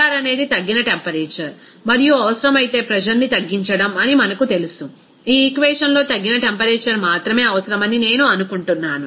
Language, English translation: Telugu, You know the Tr that is reduced temperature and reduced pressure if it is required, I think in this equation only reduced temperature is required